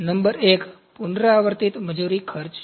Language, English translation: Gujarati, Number 1 is recurring labour cost